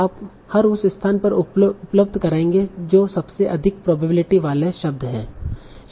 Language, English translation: Hindi, So you will just end up providing at every place the word that is having the highest probability